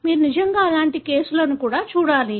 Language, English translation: Telugu, You should really look at such kind of cases as well